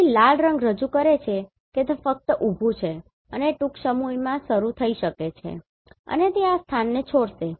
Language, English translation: Gujarati, So the red colour represents it is just parked and it may start soon and it will leave this place